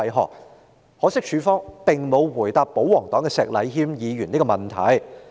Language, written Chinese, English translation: Cantonese, 很可惜，警方並沒有回答保皇黨石禮謙議員的問題。, Regrettably the Police did not give a reply to the question raised by Mr Abraham SHEK of the pro - Government camp